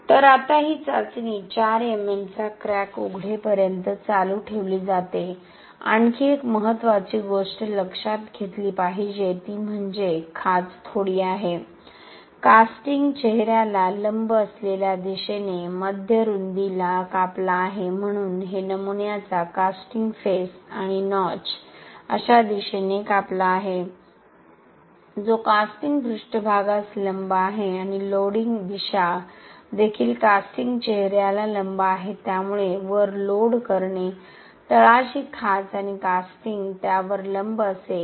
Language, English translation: Marathi, So now this test is continued until a crack opening of 4 MM, one more important thing to be noticed is that, the notch is bit, is cut at mid width in the direction which is perpendicular to the casting face, so this is the casting face of the specimen and the notch is cut in a direction which is perpendicular to the casting surface and the loading direction is also perpendicular to the casting face, so loading on top, notch on the bottom and casting will be perpendicular to it